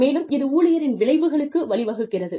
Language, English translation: Tamil, And, that leads to employee outcomes